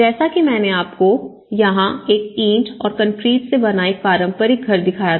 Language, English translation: Hindi, And as I said to you if you see this was a traditional house with a brick and concrete house